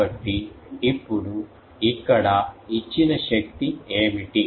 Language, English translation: Telugu, So, now, what is the power given here